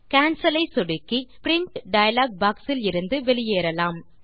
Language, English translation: Tamil, Lets click Cancel to exit the Print dialog box.Also, lets close the Mail tab